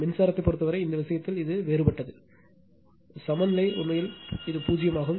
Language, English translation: Tamil, In the case of current, it is different in this case the balance is actually zero right